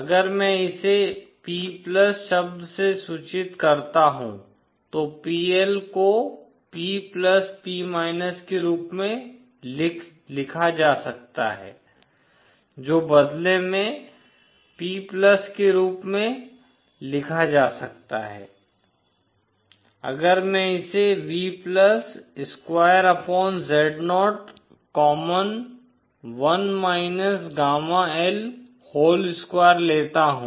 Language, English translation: Hindi, If I call denote it by the term P+ then PL can be written as P+ P which in turn can be written as P+ if I take this V+ square upon Zo common 1 gamma L whole square